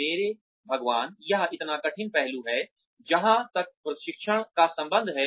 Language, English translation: Hindi, My god, this is such a difficult aspect, as far as training is concerned